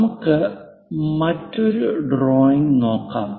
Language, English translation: Malayalam, Let us look at other drawing